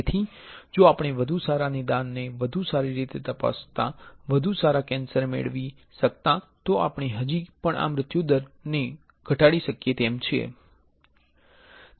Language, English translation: Gujarati, So, if we cannot get a better diagnosis better screening better sensors right then we can still reduce this mortality factor ok